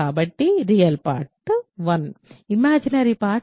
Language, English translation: Telugu, So, real part is 1 imaginary part is 0